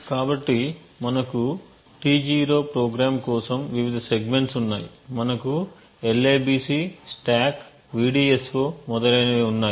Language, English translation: Telugu, So we have the various segments for the T0 program we have the libc, stack, vdso and so on